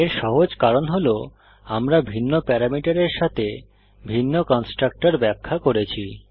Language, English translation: Bengali, This is simply because we have define multiple constructor with different parameters